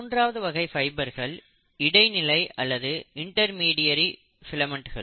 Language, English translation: Tamil, And the third category of the fibres are the intermediary filaments